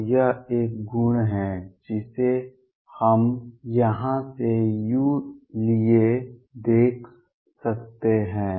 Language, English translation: Hindi, So, that is one property we can see for u from here